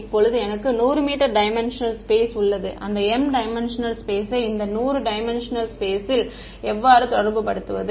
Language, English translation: Tamil, Now I have 100 m dimensional space how do I relate that m dimensional space and this 100 m dimensional space